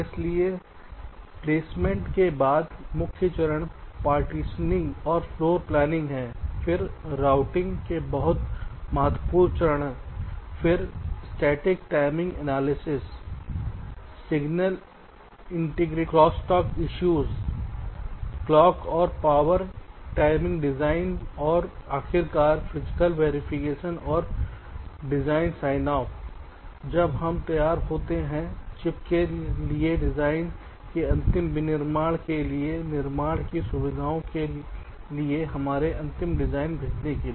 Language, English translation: Hindi, so the main steps are partitioning and floor planning, followed by placement, then the very important steps of routing, then static timing analysis, signal integrity, crosstalk issues, clock and power timing design and finally physical verification and design sign off when we are ready to send our final design to the fabrication facility for the, for the ultimate manufacturing of the device, for the chip